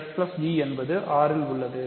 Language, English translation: Tamil, So, fg is in R